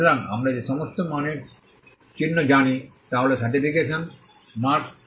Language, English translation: Bengali, So, all the quality marks that we know are certification mark